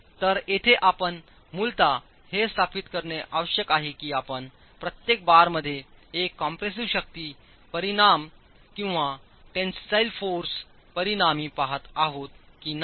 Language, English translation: Marathi, So here you basically need to establish whether you are looking at a compressive force resultant or a tensile force resultant at each bar